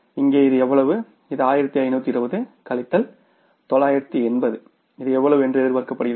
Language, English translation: Tamil, This is 1520 minus 980